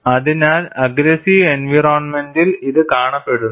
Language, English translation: Malayalam, So, this is observed in aggressive environment